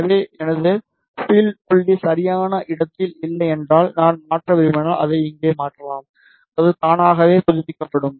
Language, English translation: Tamil, So, suppose if my feed point is not at the proper location, and if I want to change I can simply change it here, it will automatically update